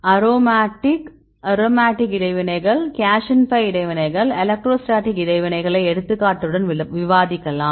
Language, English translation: Tamil, Aromatic, aromatic interactions, cation pi interactions, electrostatic interactions, we discuss with the example